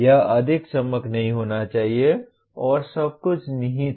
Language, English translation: Hindi, It should not be glossing over and everything is kind of implicit